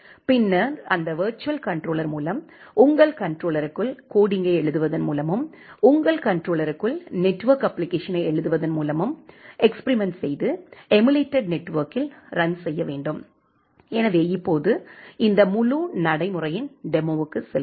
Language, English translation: Tamil, And then with that virtual controller you can actually try to do the experiments by setting up by writing your code inside the controller, by writing your network application inside the controller and then running it over this kind of emulated network